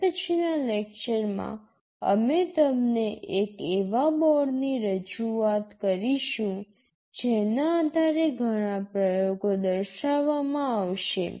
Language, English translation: Gujarati, In the next lecture we shall be introducing you to one of the boards based on which many of the experiments shall be demonstrated